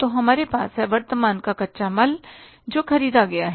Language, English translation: Hindi, So we are this the current raw material which is purchased